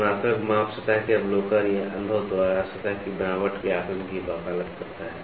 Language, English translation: Hindi, Comparative measurement advocates assessment of surface texture by observation or feel of the surface